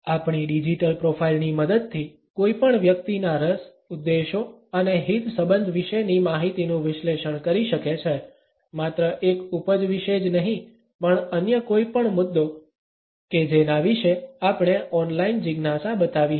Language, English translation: Gujarati, With the help of our digital profile, one can analyse information about our interest, intentions and concerns not only about a product, but also about any other issue about which we might have shown an online curiosity